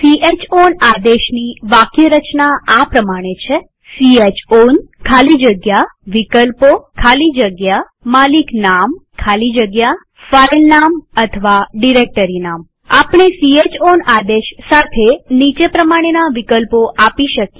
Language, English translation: Gujarati, The syntax of chown command is chown space options space ownername space filename or directoryname We may give following options with chown command